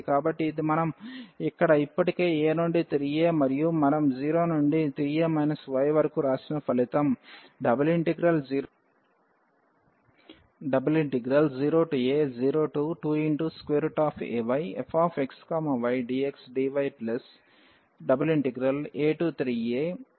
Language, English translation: Telugu, So, this is the result which we have written already here from a to 3 a and 0 to 3 a minus y